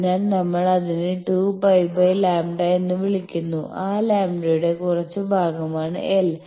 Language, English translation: Malayalam, So, we call it 2 pi by lambda and l is some fraction of that lambda